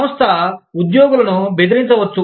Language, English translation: Telugu, The organization, may threaten the employees